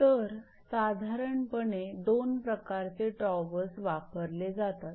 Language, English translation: Marathi, So, generally two types of towers are used